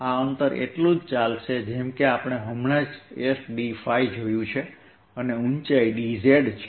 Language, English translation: Gujarati, this distance is going to be, as we just saw, s d phi and the height is d z